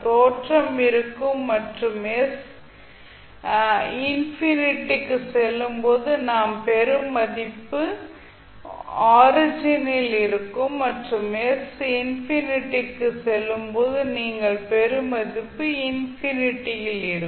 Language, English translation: Tamil, So you can simply remember it by understanding that when s tending to infinity means the value which you will get will be at origin and when s tends s to 0 the value which you will get for the function is at infinity